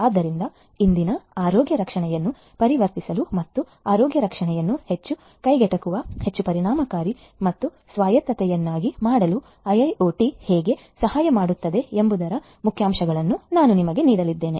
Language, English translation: Kannada, So, I am going to give you the highlights of how IIoT can help in transforming present day health care and making healthcare much more affordable, much more efficient and much more autonomous